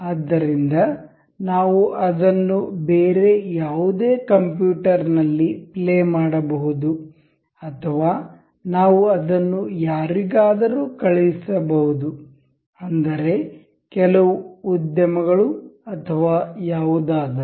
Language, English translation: Kannada, So, that we can play it on any other computer or we can lend it to someone, so some industry or anything